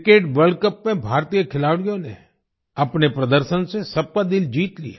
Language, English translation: Hindi, Indian players won everyone's heart with their performance in the Cricket World Cup